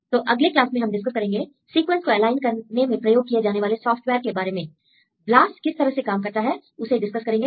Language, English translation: Hindi, So, in next class, we will discuss about the software for aligning sequences; how, we will discuss about how BLAST works